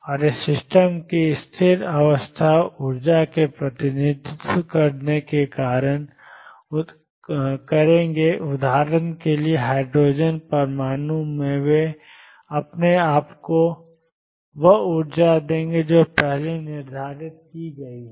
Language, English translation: Hindi, And these will represent the stationary state energy of the system for example, in hydrogen atom they will give you the energy is determined earlier